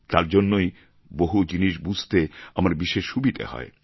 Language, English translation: Bengali, That helps me a lot in understanding things